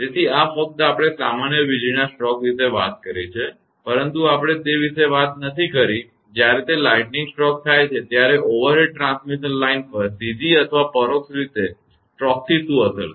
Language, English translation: Gujarati, So, this is only we have talked about general lightning stroke, but we have not talked about; when it is lightning stroke happen on the overhead transmission line or in direct or indirect stroke